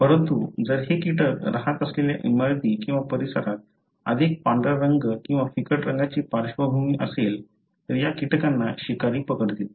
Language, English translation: Marathi, But however, if the building or the surroundings where these insects live have more white colour or lighter colour background, then these insects would be caught by the predators